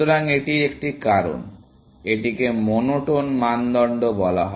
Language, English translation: Bengali, So, that is one of the reasons for, this is called a monotone criteria